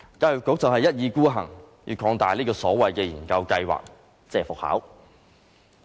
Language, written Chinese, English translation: Cantonese, 教育局一意孤行要擴大這個所謂研究計劃。, The Education Bureau insisted that it would extend the so - called research study